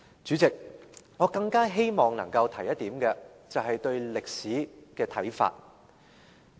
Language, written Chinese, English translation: Cantonese, 主席，我更希望能夠提出一點，便是對歷史的看法。, President I all the more wish to raise another point that is the interpretation of history